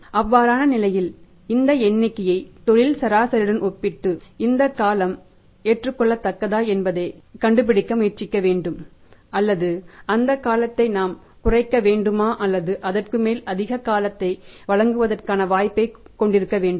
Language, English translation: Tamil, In that case we will have to compare this figure with industry average and try to find out whether this period is acceptable or we have to reduce the period or we have to scope for giving furthermore period